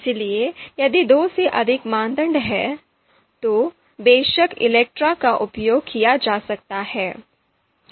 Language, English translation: Hindi, So more than two criteria, then you know of course ELECTRE we can use